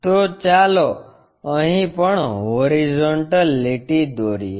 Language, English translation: Gujarati, So, let us draw a horizontal line also here